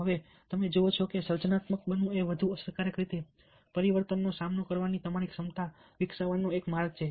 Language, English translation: Gujarati, now you see that being creative is a way of developing your ability to cope with change in a more effective way